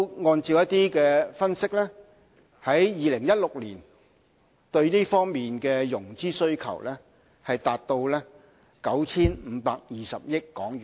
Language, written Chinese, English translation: Cantonese, 按照分析，在2016年，這方面的融資需求達到 9,520 億元。, According to an analysis financing requirement in this regard reached 952 billion in 2016